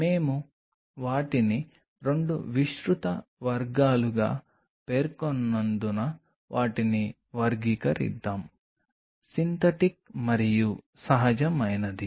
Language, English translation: Telugu, Let us classify them as we are mentioning into 2 broad categories; Synthetic and Natural